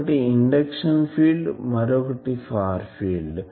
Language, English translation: Telugu, So, this is induction field, this is far field